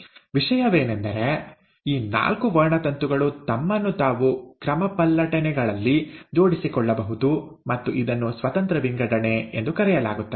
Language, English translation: Kannada, The point is, these four chromosomes can arrange themselves in permutations and that itself is called as independent assortment